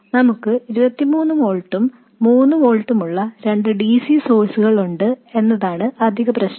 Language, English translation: Malayalam, And the additional problem is that we have 2 DC sources, 23 volts and 3 volts